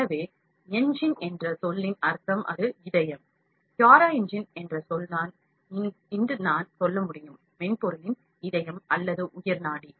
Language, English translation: Tamil, So, the word engine means it is the heart, word CuraEngine I just can say it is the heart or lifeline of the software